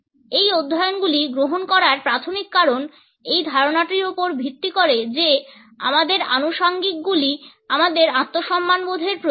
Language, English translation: Bengali, The primary reason for taking up these studies is based on this idea that our accessories symbolize our sense of self respect